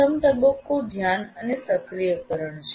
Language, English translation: Gujarati, Then the first stage is attention and activation